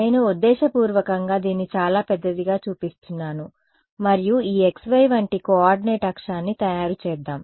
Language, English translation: Telugu, I am purposely showing it very big and let us make a coordinate axis like this x y ok